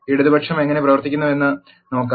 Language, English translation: Malayalam, Let us look at how left join works